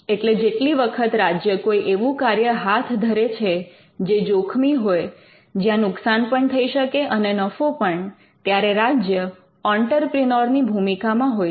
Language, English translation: Gujarati, So, every time the state undertakes a risky activity, wherein it could suffer losses and it could also make gains the state is actually getting into or discharging its entrepreneurial function